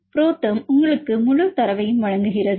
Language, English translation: Tamil, ProTherm gives you a full data right